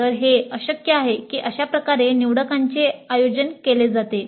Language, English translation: Marathi, So it is possible that this is how the electives are organized